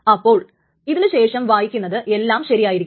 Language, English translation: Malayalam, So anything that reads after this will be correct